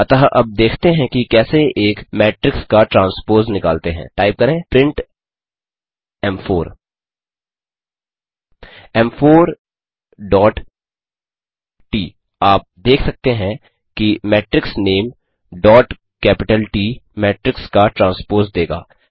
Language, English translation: Hindi, So now Let us see, how to find out the transpose of a matrix we can do, Type print m4 m4 dot T As you saw, Matrix name dot capital T will give the transpose of a matrix Pause the video here, try out the following exercise and resume the video